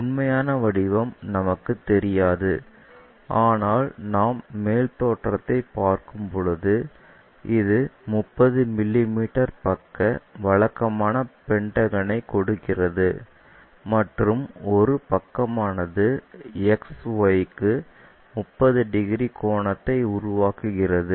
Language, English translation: Tamil, What is the true shape we do not know, but when we are looking at top view level, it is giving us a regular pentagon of 30 mm side and one of the side is making 30 degrees angle to XY